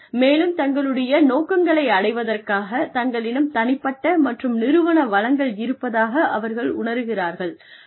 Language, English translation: Tamil, And, to feel that, they have the personal and organizational resources, to achieve their objectives